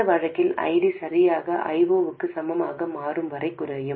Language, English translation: Tamil, In this case, ID will go on decreasing until it becomes exactly equal to I0